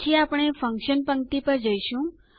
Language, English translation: Gujarati, Next, we will go to the Function row